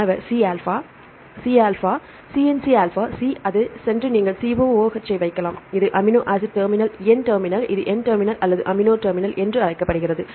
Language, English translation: Tamil, C C N C alpha C it goes and right then you can put the COOH, this is the amino terminal N terminal this called the N terminal or amino terminal